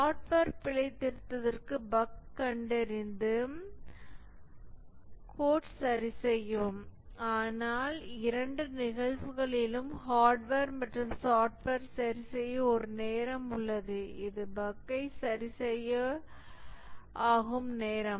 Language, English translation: Tamil, And for software, debug, find out the bug, correct the code, but in both cases, hardware and software, there is a time to repair, which is the time to fix the bug